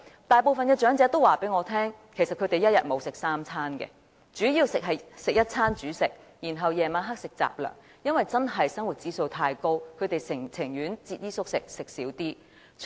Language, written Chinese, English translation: Cantonese, 大部分長者向我反映，其實他們一天沒有吃足三餐，主要是吃一餐主食，然後晚上吃雜糧，因為生活指數實在太高，他們情願節衣縮食。, Most of them told me that they could not manage to have three meals a day but basically one main meal and some non - staple food at night because the living cost is simply too high and they would rather skimp on food and clothing